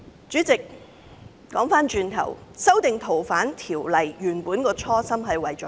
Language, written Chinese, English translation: Cantonese, 主席，修訂《逃犯條例》的初心是甚麼？, President what is the original intent of amending FOO?